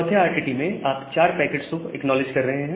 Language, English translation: Hindi, In the 3rd RTT, you are acknowledging 4 packets